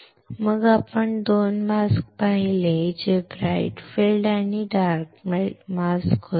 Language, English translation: Marathi, Then we have seen two masks which bright field masks and dark field masks